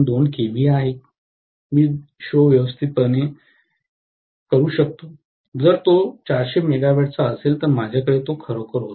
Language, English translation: Marathi, 2 kVA I can manage the show, if it is 400 megawatt, I really had it